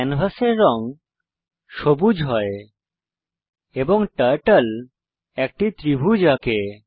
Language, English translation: Bengali, The canvas color becomes green and the Turtle draws a triangle